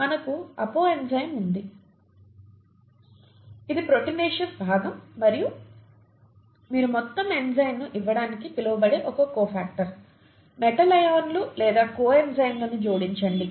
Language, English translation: Telugu, You have an apo enzyme which is the proteinaceous part and to which you add a cofactor, metal ions or coenzymes as they are called to give the whole enzyme, okay